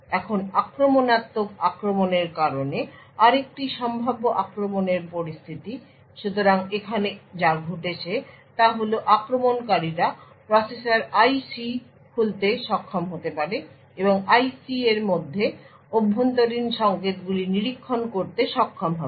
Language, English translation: Bengali, Now another possible attack scenario is due to invasive attack, So, what happened over here is that attackers may be able to de package the processor IC and will be able to monitor internal signals within the IC